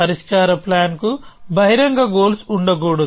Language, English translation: Telugu, So, a solution plan must not have open goals